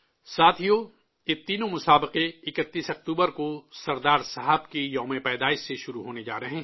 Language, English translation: Urdu, these three competitions are going to commence on the birth anniversary of Sardar Sahib from 31st October